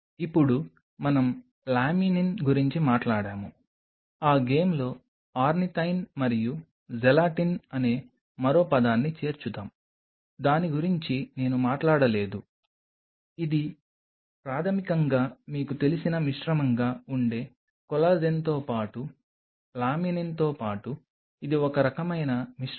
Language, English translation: Telugu, Now we have talked about Laminin let us add the other word in that game, which is Ornithine and Gelatin which I haven’t talked about which is basically a mix of you know collagen along with partly with laminin and it is kind of a mixture is the same thing, but these are all natural sources